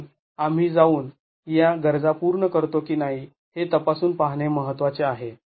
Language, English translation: Marathi, So, it is important to go and check if we satisfy these requirements